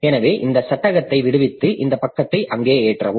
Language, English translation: Tamil, So, free that frame and load this page there